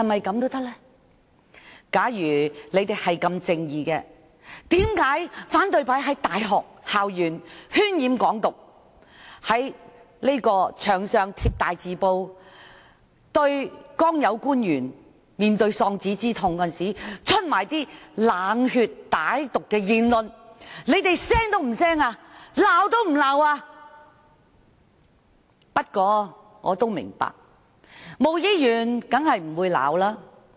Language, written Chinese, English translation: Cantonese, 假如你們如此正義，為何對於有人在大學校園渲染"港獨"，在牆上張貼大字報，對剛遇上喪子之痛的官員，說出冷血歹毒的言論，卻甚麼也不說，完全沒有批評？, If you were so righteous why did you say nothing and make no criticisms at all towards those who advocated Hong Kong independence on the University campus and put up poster with cold - blooded and malicious comments against the government official who lost her son?